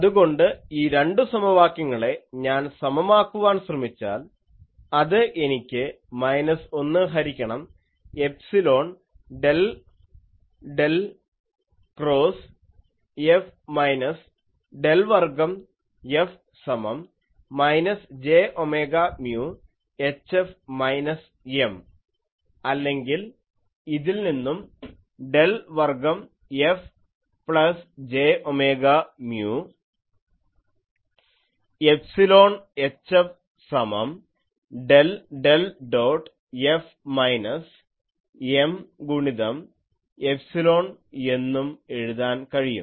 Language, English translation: Malayalam, So, I can equate these two and that gives me minus 1 by epsilon del del cross F minus del square F is equal to minus j omega mu H F minus M or from here I can write, del square F plus j omega mu epsilon H F is equal to del del dot F minus M into epsilon